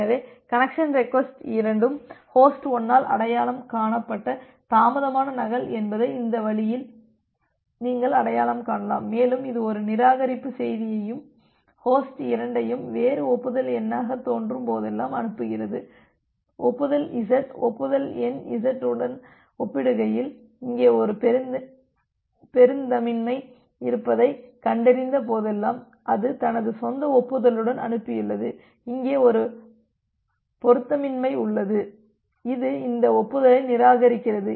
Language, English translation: Tamil, So, with this way you can identify that both the connection request was a delayed duplicate that was identified by host 1 and it sends a reject message and host 2 whenever it looks a different acknowledgement number, acknowledgement z acknowledgement number z compare to the one which it has sent with its own acknowledgement whenever it finds out that there is a mismatch here; there is a mismatch here it simply discard this acknowledgement